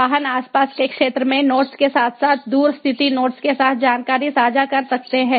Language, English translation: Hindi, the vehicles can share information to notes in the vicinity as well as to remotely located notes